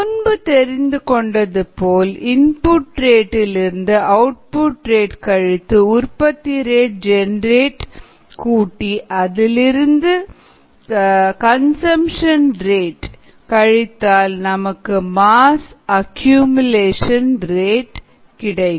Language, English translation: Tamil, by now we should be familiar with: rate of input minus rate of output, plus the rate of generation minus rate of consumption equals the rate of accumulation of mass